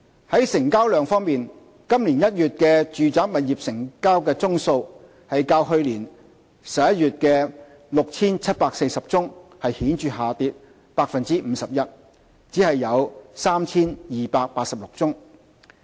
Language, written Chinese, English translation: Cantonese, 在成交量方面，今年1月的住宅物業成交宗數較去年11月約 6,740 宗顯著下跌 51%， 只有 3,286 宗。, On transaction volume the number of residential property transactions dropped significantly by 51 % from around 6 740 in November last year to 3 286 in January this year